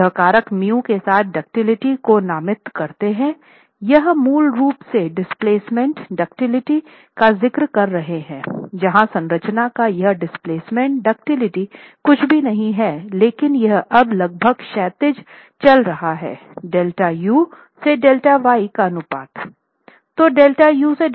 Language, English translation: Hindi, So, that is where you have the first contributory factor we designate ductility with the factor mu, displacement ductility is what we are basically referring to where this displacement ductility of the structure is nothing but because it is now going on almost horizontal the ratio of delta u to delta y